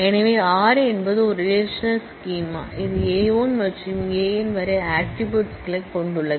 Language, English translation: Tamil, So, we said R is a relational schema, which has attributes A 1 to A n